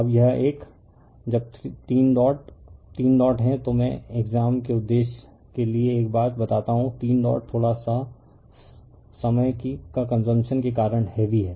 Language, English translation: Hindi, Now this one, when 3 dots are 3 dots let me tell you one thing for the exam purpose, 3 dots are little bit heavy because of time consumption right